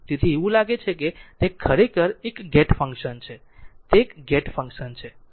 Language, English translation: Gujarati, So, it is looks like it is a gate function actually, it is a gate function